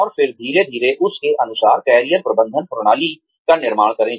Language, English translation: Hindi, And then, slowly build the Career Management systems, according to that